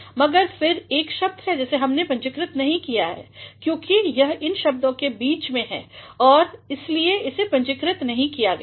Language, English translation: Hindi, But, then there is one word of we have not capitalized because it is in the midst of all these words and that is why this has not been capitalized